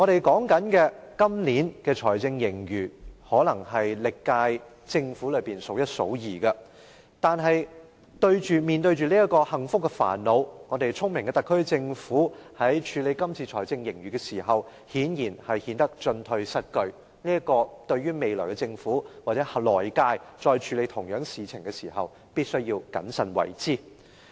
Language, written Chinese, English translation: Cantonese, 今年的財政盈餘可能是歷屆政府中數一數二的，但是，面對着這個幸福的煩惱，聰明的特區政府在處理這次的財政盈餘時顯然顯得進退失據，未來的政府或來屆政府在再處理相同事情時，必須謹慎為之。, The fiscal surplus this year likely ranks the first or second of all the previous terms of Government . Yet in the face of this happy problem the clever Special Administrative Region SAR Government is obviously caught in a dilemma . The future Government or the next Government must act cautiously in handling similar issues